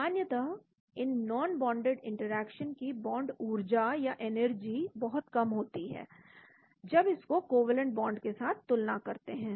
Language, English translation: Hindi, generally the bond energies of these non bonded interactions are very low when compared to that of the covalent bond